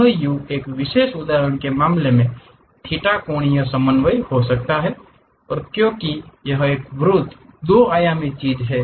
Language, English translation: Hindi, This u can be theta angular coordinate in one particular instance case and because it is a circle 2 dimensional thing